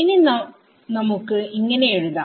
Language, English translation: Malayalam, So, I will draw this here